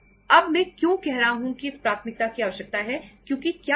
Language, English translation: Hindi, Now why I am saying that this priority is required because what happens